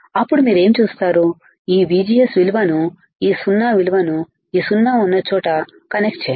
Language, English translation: Telugu, Then what you do then what you do is connect this VGS value this 0 value right where is 0 0 is connected here where is one